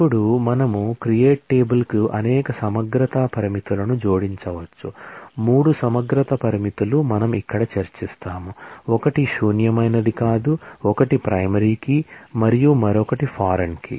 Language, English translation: Telugu, Now, we can add a number of integrity constraints to the create table, 3 integrity constraints we will discuss here, one is not null, one is primary key and other third is foreign key